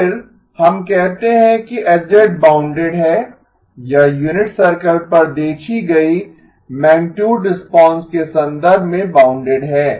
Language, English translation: Hindi, Then, we say that H of z is bounded, it is bounded in terms of the magnitude response viewed on the unit circle